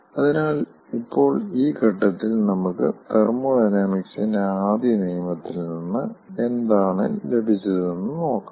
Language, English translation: Malayalam, so now, at this point, at this point, let us see what we have got from first law of thermodynamics